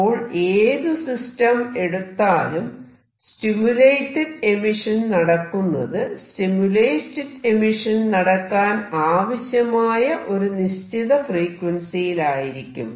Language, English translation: Malayalam, So, you can choose any system and the stimulated emission will take place only for that particular frequency with which you are doing this stimulated emission